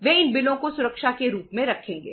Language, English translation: Hindi, They will keep these bills as the security